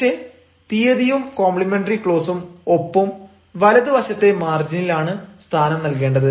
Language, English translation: Malayalam, but then the date, complementary close and signature are spaced on the right hand margin